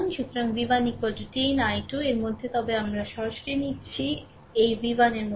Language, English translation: Bengali, So, v 1 is equal to 10 into i 2, but we are taking directly directly, this v 1 like this, right